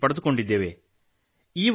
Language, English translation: Kannada, It has been patented